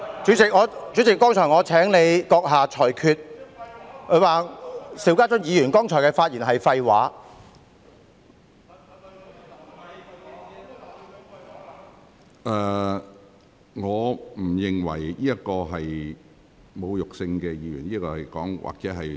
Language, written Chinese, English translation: Cantonese, 主席，我剛才請閣下就謝偉俊議員說"邵家臻議員剛才的發言是廢話"這句話作出裁決。, President just now I asked you to make a ruling on Mr Paul TSEs remark that the speech made by Mr SHIU Ka - chun just now was all nonsense